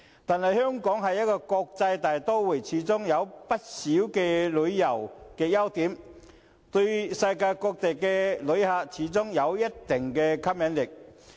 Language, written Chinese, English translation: Cantonese, 但是，香港是國際大都會，有不少旅遊優點，對世界各地的旅客始終有一定的吸引力。, However as an international metropolis with many tourism edges Hong Kong still has its attractions to visitors all over the world